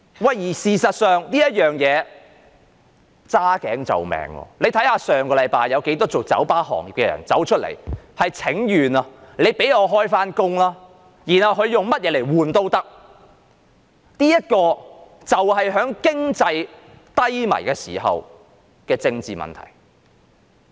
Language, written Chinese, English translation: Cantonese, 事實上，這是"揸頸就命"，大家看到上星期有很多從事酒吧業的人請願，希望當局讓他們復業，而他們願意用任何條件交換，這就是經濟低迷時的政治問題。, In fact this is a bitter pill to swallow . We saw members of the bar industry making petition last week to urge the authorities to allow them to resume operation stating that they were willing to accept any terms and conditions in exchange . This is the political issue in times of economic recession